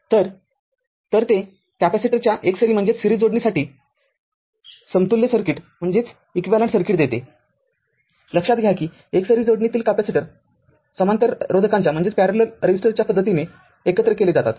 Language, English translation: Marathi, So, it gives the equivalence circuit for the series capacitor, note that capacitors in series combine in the same manner of resistance in parallel